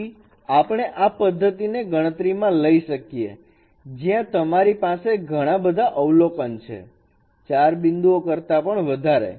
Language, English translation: Gujarati, So let us consider a method where you have more number of observations more than four points